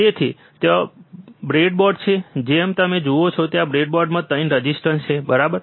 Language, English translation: Gujarati, So, there is a breadboard as you see here there is a breadboard 3 resistors, right